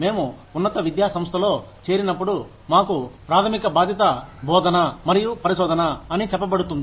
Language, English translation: Telugu, When we join an institute of higher education, we are told that, our primary responsibilities are, teaching and research